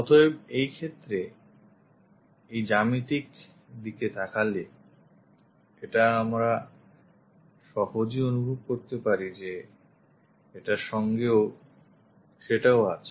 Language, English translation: Bengali, So, in this case by looking at this geometry, we can easily sense that this one accompanied by that